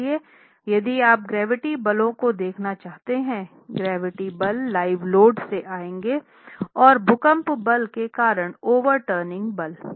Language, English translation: Hindi, So, if you were to look at the gravity forces, the gravity forces would come from the dead load, from the live load and from the earthquake force because of the overturning moment